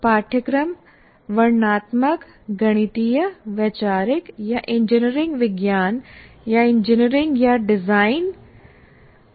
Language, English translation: Hindi, For example, courses can be descriptive, mathematical, conceptual or engineering science or engineering or design oriented